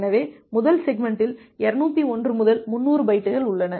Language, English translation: Tamil, So, the first segment contains bytes 201 to 300